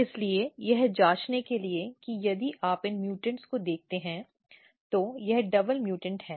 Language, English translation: Hindi, So, to check that if you look these mutants, so basically this is the double mutant